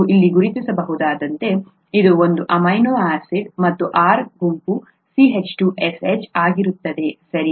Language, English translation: Kannada, As you can recognise here, this is one amino acid, this is CNH2COOHH and the R group happens to be CH2SH, right